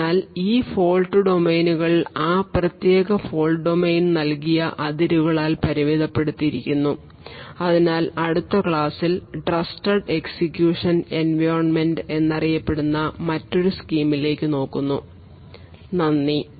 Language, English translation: Malayalam, So these fault domains are restricted by the boundaries provided by that particular fault domain, so in the next lecture we look at another scheme which is known as trusted execution environment, thank you